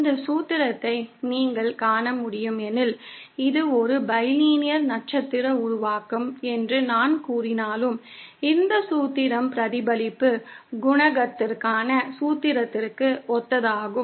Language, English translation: Tamil, As you can see this formula, even though I am saying it is a bilinear star formation, this formula is analogous to the formula for the reflection coefficient